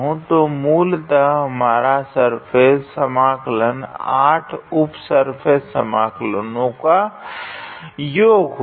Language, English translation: Hindi, So, basically our surface integral would be sum of 8 sub surface integrals